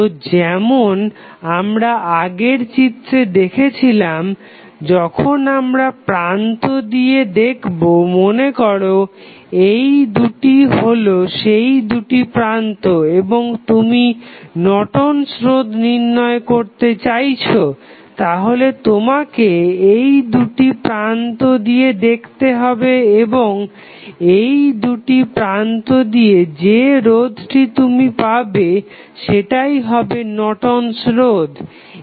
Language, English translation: Bengali, So, as we saw in the previous figure, so, when you look through the terminal suppose, if these are the 2 terminals, and you want to find out the Norton's resistance, then you have to look through these 2 terminal and the resistance which you will see from these 2 terminals would be Norton's resistance